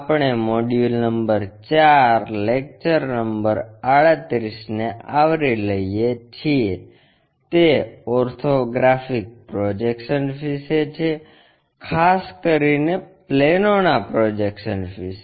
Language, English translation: Gujarati, We are covering Module number 4, Lecture number 38, it is about Orthographic Projections especially Projection of planes